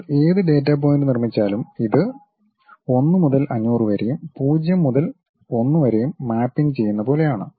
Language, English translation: Malayalam, You construct any data point it is more like a mapping from 1 to 500 to 0 to 1 kind of system